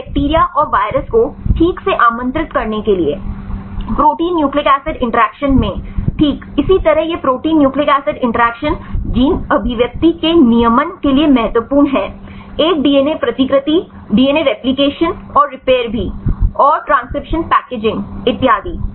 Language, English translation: Hindi, So, for understand the inviting the bacteria and viruses fine, likewise in protein nucleic acid interactions right this protein nucleic acid interactions are important for the regulation of gene expression, a DNA replication and repair also transcription packaging so on right